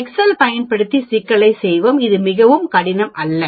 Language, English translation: Tamil, Let us do the problem using excel, it is not very difficult